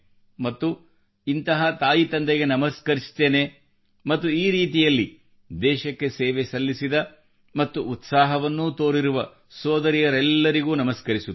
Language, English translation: Kannada, And I feel… pranam to such parents too and to you all sisters as well who served the country like this and displayed such a spirit also